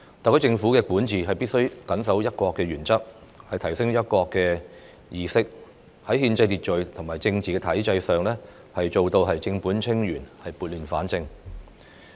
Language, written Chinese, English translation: Cantonese, 特區政府的管治必須緊守"一國"的原則，提升"一國"的意識；在憲制秩序和政治體制上，做到正本清源、撥亂反正。, The governance of the HKSAR Government must strictly adhere to the one country principle and the awareness of this principle must be enhanced so as to restore constitutional order and political system from chaos